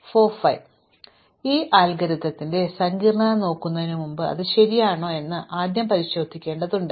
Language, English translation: Malayalam, So, before we look at the complexity of these algorithms, we actually first have to verify that it is correct